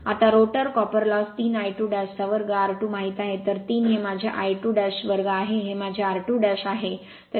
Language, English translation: Marathi, Now rotor copper loss you know 3 I 2 dash square into r 2 dash, so 3 this is my I 2 dash square, this is my r 2 dash, so 1